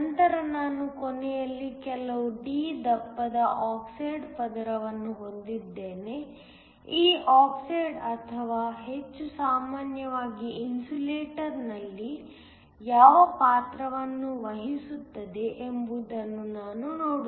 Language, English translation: Kannada, I then have an oxide layer of some thickness d towards the end, we will see what role this oxide or in more general in insulator place